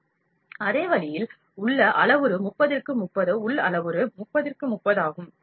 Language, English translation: Tamil, So, in the same way, inner parameter is 30 and 30, inner parameter is 30 and 30